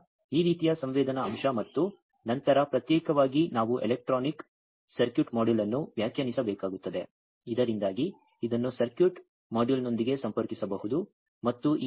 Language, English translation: Kannada, So, this kind of sensing element, and then separately we will have to define a electronic circuit module, so that this can be connected with the circuit module